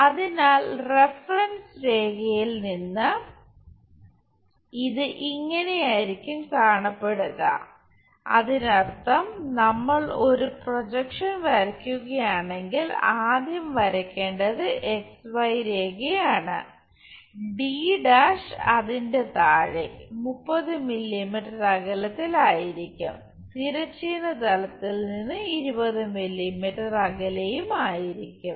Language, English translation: Malayalam, So, from reference line this is the way it is supposed to look like; that means, if we are drawing a projection is supposed to be first draw XY line locate d’ below it at a distance of 30 mm at a distance of from horizontal plane it is 20 mm so, locate 20 mm down